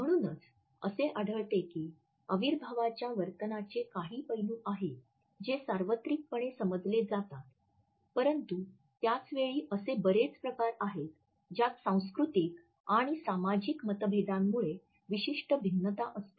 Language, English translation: Marathi, And therefore, we find that there are certain aspects of kinesic behavior which are universally understood, but at the same time there are many in which certain variations are introduced because of cultural and social differences